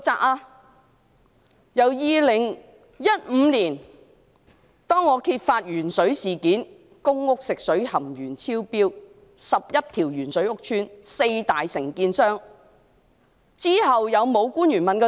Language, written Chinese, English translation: Cantonese, 我在2015年揭發鉛水事件，即是公屋食水含鉛量超標，當中涉及11個屋邨和四大承建商，之後是否有官員問責？, I exposed the lead - water incident in 2015 that is excess lead content was found in drinking water in public rental housing estates with 11 housing estates and four major contractors involved